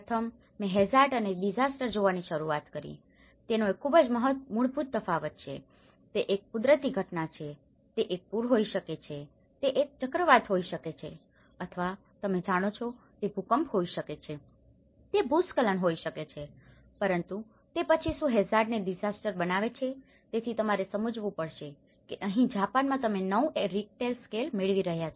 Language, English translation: Gujarati, First, I started looking at hazard and disaster, its a very fundamental difference it is hazard is simply a natural phenomenon it could be a flood, it could be a cyclone or you know, it could be earthquake, it could be a landslide but then what makes hazard a disaster, so here, one has to understand in Japan you are getting 9 Richter scale